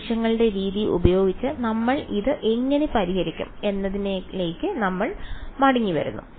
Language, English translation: Malayalam, Now coming back to our how we will actually solve this using the method of moments